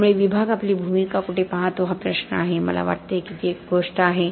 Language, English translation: Marathi, So it is a question of where the department sees its role, I think that is one thing